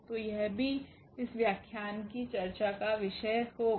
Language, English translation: Hindi, So, that will be the also topic of discussion of this lecture